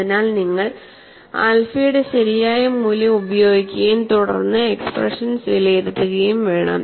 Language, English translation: Malayalam, So, you have to use the correct value of alpha and then evaluate the expressions